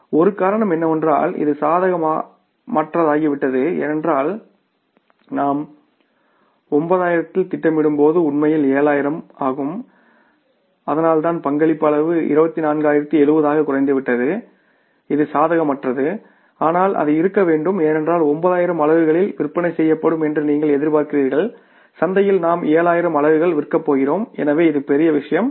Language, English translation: Tamil, One reason is that it has become unfavorable because at the we planned at the 9,000 actually 7,000 but and that is why the contribution margin has seriously declined by 24,070 which is unfavorable but that had to be because you are expecting 7,000 units to sell in the market